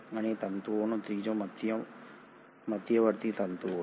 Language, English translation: Gujarati, And the third category of the fibres are the intermediary filaments